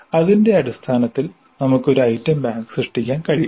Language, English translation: Malayalam, So the managing based on that we can create an item bank